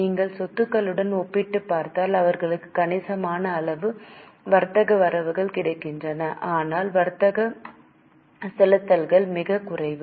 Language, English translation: Tamil, If you go for comparison with assets, they have got substantial amount of trade receivables, but trade payables are very small